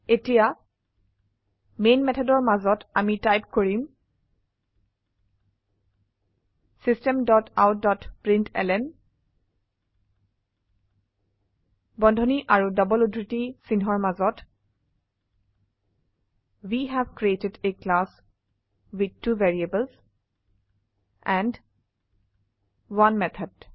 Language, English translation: Assamese, Now, inside the main method we will type System dot out dot println within brackets and double quotes We have created a class with two variables and 1 method